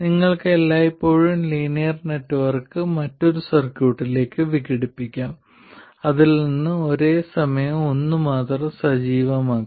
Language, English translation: Malayalam, You can always decompose the linear network into different circuits in which only one source is activated at a time